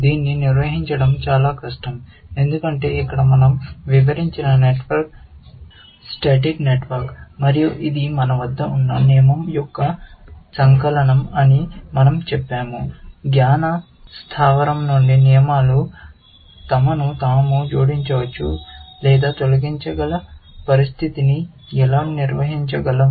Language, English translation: Telugu, That would be difficult to handle in this, because here, the network that we have described is a static network, and we have said it is a compilation of the rule that we have; how do we handle a situation where, the rules can be themselves, added or deleted from a knowledge base